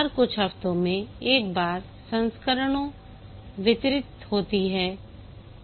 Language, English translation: Hindi, There is a frequent delivery of versions once every few weeks